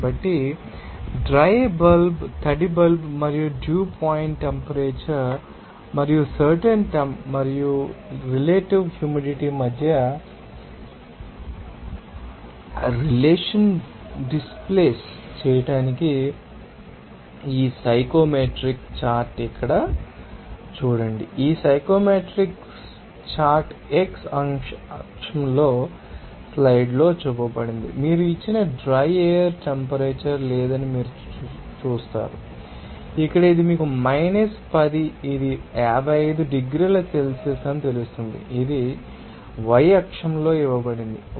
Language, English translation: Telugu, So, this psychometric chart to displace the relationship between dry bulb, wet bulb and dew point temperature and specific and relative humidity here see these psychometrics chart are shown in you know slides in the x axis you will see that there is no dry air temperature given you know that here, this is minus 10 to you know 55 degree Celsius it is given in the y axis it is given you will see that moisture content per kg dry air even in the y axis is also represented enthalpy at saturation condition